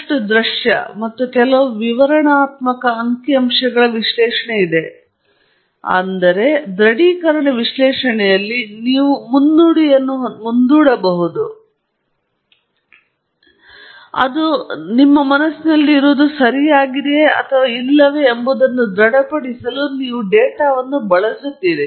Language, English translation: Kannada, There is a lot of visual plus some descriptive statistical analysis is involved; whereas in confirmatory analysis, you have a postulate upfront, and you would use the data to confirm whether what you have in mind is correct or not